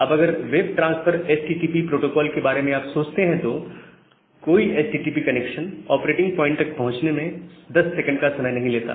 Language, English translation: Hindi, Now, if you think about the web transfer the HTTP protocol, so none of the HTTP connection takes 10 second to reach at that operating point